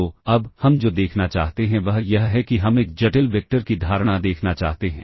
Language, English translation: Hindi, So, now, what we want to see is we want to see the notion of a complex vector